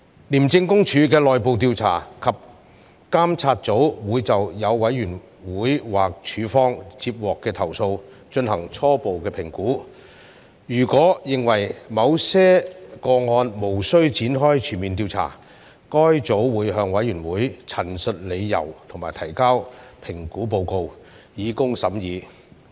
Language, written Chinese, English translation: Cantonese, 廉政公署的內部調查及監察組會就所有委員會或署方接獲的投訴進行初步評估，如果認為某些個案無須展開全面調查，該組會向委員會陳述理由及提交評估報告，以供審議。, Upon receipt of all complaints lodged either with the Committee or ICAC the Internal Investigation and Monitoring Group of ICAC will conduct a preliminary assessment . If it considers that a full investigation is not warranted for some cases it will state the reasons and submit an assessment report for the Committees consideration